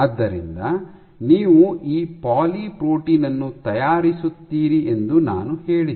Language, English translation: Kannada, So, I said that you will make this poly protein